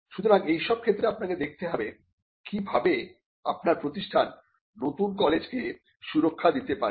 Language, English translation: Bengali, So, in such cases you may have to look at how your institution can protect new knowledge